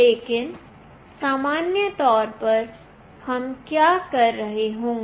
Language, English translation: Hindi, But in general case, what we will be doing